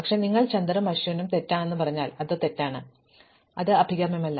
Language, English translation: Malayalam, But, it would be wrong if you said Chander and then Ashwin not wrong, but undesirable